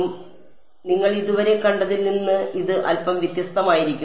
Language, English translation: Malayalam, So, this is going to be slightly different from what you have seen so far